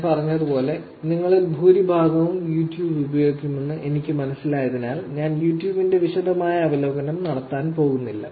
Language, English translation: Malayalam, As I said, given that I understand majority of you would have used YouTube, I am not going do a detailed review of YouTube